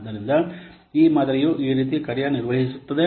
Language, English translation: Kannada, So this model works like this